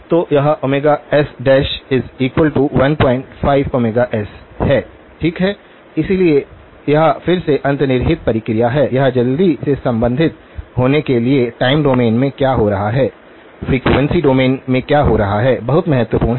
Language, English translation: Hindi, So, this is omega s dash that is equal to 1 point 5 times omega s, okay, so this is the underlying process again, being it to quickly relate to what is happening in the time domain to what is happening in the frequency domain, very important